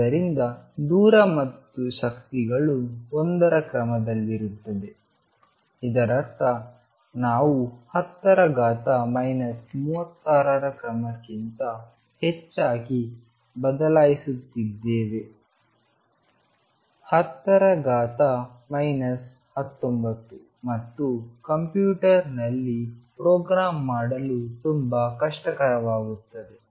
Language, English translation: Kannada, So, that the distances and energies are of the order of one; that means, we changing units rather than of the order of being 10 days to minus 36; 10 days to minus 19 and so on that will be very difficult to program in a computer